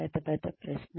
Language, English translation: Telugu, Big big question